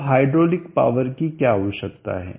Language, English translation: Hindi, Now what is the hydraulic power required 1000*9